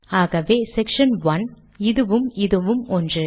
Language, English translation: Tamil, So section 1, this number is the same as this one